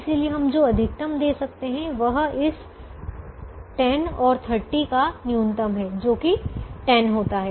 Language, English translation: Hindi, so the maximum that we can give is the minimum of this ten and thirty, which happens to be ten